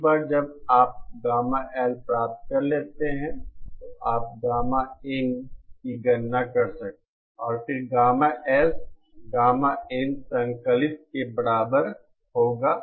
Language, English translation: Hindi, Once you get gamma L, you can calculate gamma in and then gamma S will be equal to gamma in conjugate